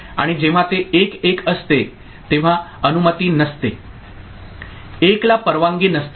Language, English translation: Marathi, And when it is it is 1 1 it is not allowed, 1 1 is not allowed